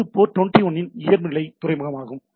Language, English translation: Tamil, So, it is the default port of port 21